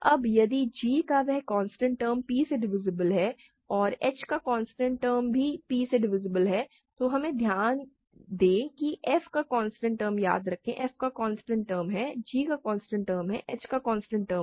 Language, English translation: Hindi, Now, if that constant term of g is divisible by p and the constant term of h is also divisible by p, we note that constant term of f, remember, is just the constant term of f, constant term of g times constant term of h, right